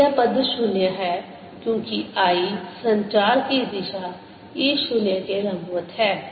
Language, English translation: Hindi, so this term is zero because i, the propagation direction, is perpendicular to e zero